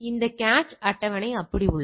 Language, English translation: Tamil, This cache table remains the same